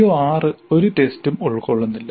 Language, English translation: Malayalam, Note that CO6 is not at all covered in the test